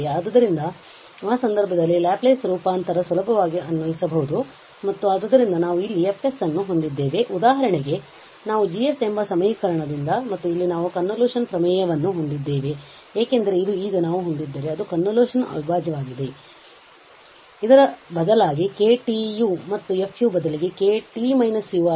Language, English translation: Kannada, So, in that case, we can easily apply the Laplace transform and so we have here F s we have for instance from the first equation G s and here we have the convolution theorem, because this became now convolution integral if we have instead of this K t u, K t minus u and F u